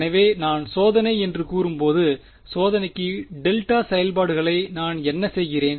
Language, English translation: Tamil, So, when I say testing, what do I am taking delta functions for the testing